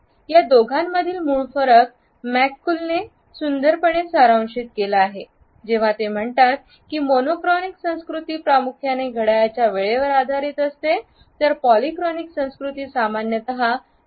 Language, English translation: Marathi, The basic difference between these two orientations has been beautifully summed up by McCool when he says that the monochronic cultures are based primarily on clock time whereas, polychronic cultures are typically based on people time